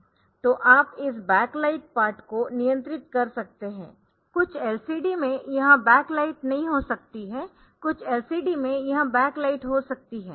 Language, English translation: Hindi, So, you can control this back light part, some LCDs may not have this back light, some LCDs may have this back light out of them this register select so this is very important